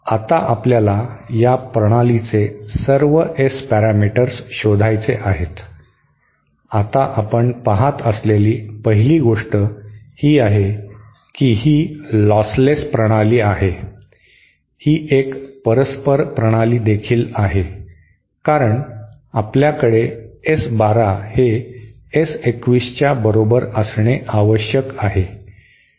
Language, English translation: Marathi, Now we have to find out all the S parameters of this system, now first thing that we have to see is this is that this is the lostless system, this is also reciprocal system since this is a reciprocal system we should have S 1 2 is equal to S 2 1, ok